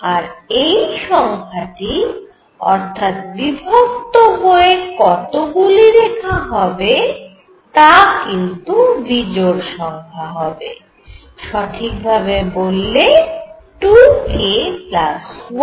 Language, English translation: Bengali, And this number, number of splittings are going to be odd, because this is precisely 2 k plus 1